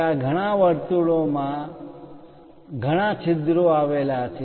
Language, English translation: Gujarati, There are many holes they are aligned in circles